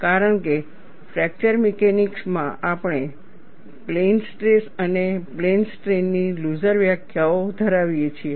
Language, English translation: Gujarati, Because, in fracture mechanics, we tend to have looser definitions of plane stress and plane strain